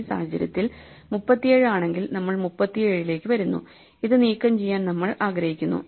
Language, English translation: Malayalam, So, we come to 37 and we want to remove this